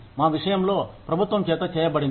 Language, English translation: Telugu, In our case, they are made by the government